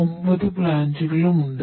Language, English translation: Malayalam, Yeah we have nine plants